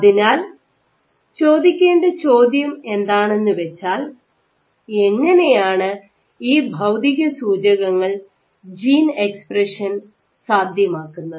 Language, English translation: Malayalam, So, the question to ask is, how do physical cues activate gene expression